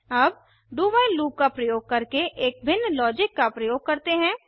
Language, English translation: Hindi, Now let us try a different logic using the do while loop